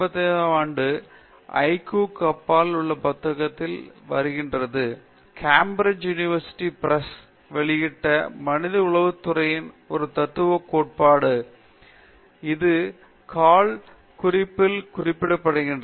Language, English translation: Tamil, This is from his book, 1985, Beyond IQ: A triarchic theory of human intelligence, published by Cambridge University Press; that is indicated at the foot note